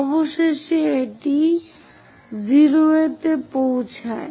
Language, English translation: Bengali, Finally, it reaches at 0